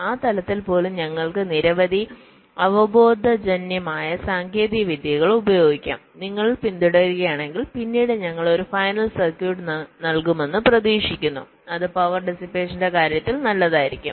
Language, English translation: Malayalam, if and at that level, we can use a number of intuitive techniques which, if you follow, is expected to give us a final circuit later on that will be good in terms of power dissipation